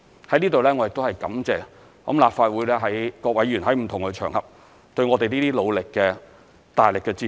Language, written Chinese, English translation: Cantonese, 在此我感謝立法會各位議員在不同場合對我們努力的大力支持。, I would like to thank all Members of the Legislative Council for their strong support of our efforts on different occasions